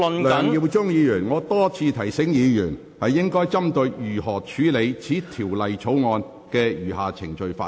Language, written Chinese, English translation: Cantonese, 梁耀忠議員，我已多次提醒議員應針對如何處理《條例草案》的餘下程序發言。, Mr LEUNG Yiu - chung I have reminded Members many times that their speeches should address the question of how the remaining proceedings of the Bill should be dealt with